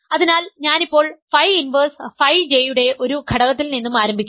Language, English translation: Malayalam, So, I am now starting with an element of phi inverse phi J and I want to show its image is in it is in J